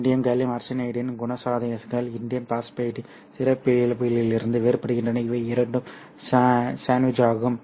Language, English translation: Tamil, The characteristics of Indian gallium arsenide is different from the characteristic of Indian phosphate and these two are sandwiched